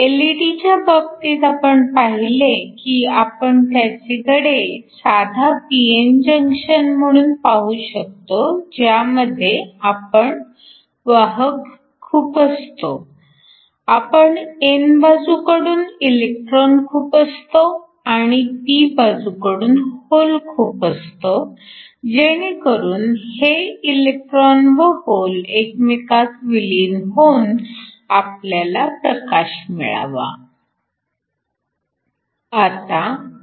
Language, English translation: Marathi, The case of LED’s we saw that we could model them as a simple p n junction where we inject carriers, so we inject electrons from the n side and holes from the p sides so that these electrons and holes recombine in order to give you light